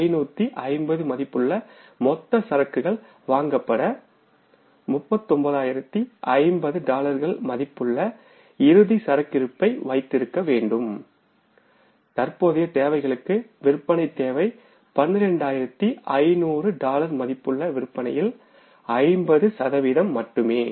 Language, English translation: Tamil, 51,550 worth of the total inventory will be required to be purchased for keeping 39,050 worth of the dollars as closing inventory and then for the current requirement, sales requirement is just 50% of the sales that is the worth of $12,500 worth of the dollars